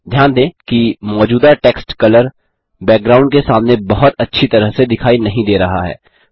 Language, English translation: Hindi, Notice that the existing text color doesnt show up very well against the background